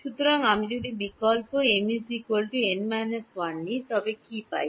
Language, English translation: Bengali, So, if I substitute m is equal to n minus 1 what do I get